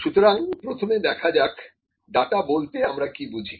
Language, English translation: Bengali, So, first of all, let us see what is data